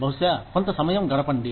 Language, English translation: Telugu, Maybe, spend some time